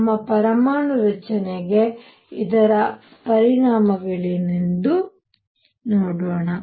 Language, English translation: Kannada, Let us see what are its is implications for our atomic structure